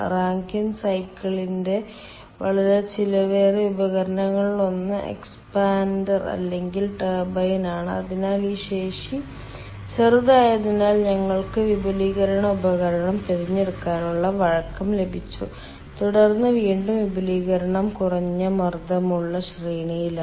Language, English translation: Malayalam, and then one of the very costly equipment of rankine cycle is the expander or the turbine, so that that, as this capacity is small, so we have got flexibility of selecting the expansion device